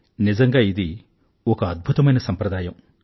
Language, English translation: Telugu, This is indeed a remarkable tradition